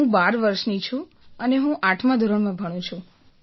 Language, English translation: Gujarati, I am 12 years old and I study in class 8th